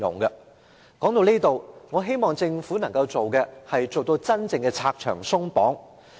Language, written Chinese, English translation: Cantonese, 說到這裏，我希望政府能夠真正做到拆牆鬆綁。, Speaking up to this point I hope the Government can genuinely remove restrictions and barriers